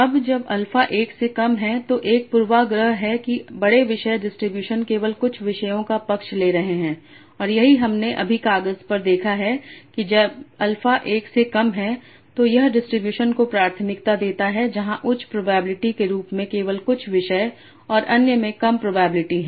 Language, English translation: Hindi, So now when alpha is less than one there is a bias to big topic distributions favoring just a few topics and this is what we saw just now in paper that when alpha is equal to is less than one it tends to prefer the distributions where only a few topics has a high probability and others have lower probability